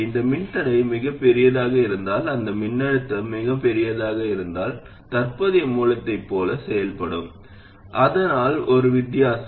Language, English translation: Tamil, If this resistor happens to be very large and if this voltage is very large, then it will tend to behave like a current source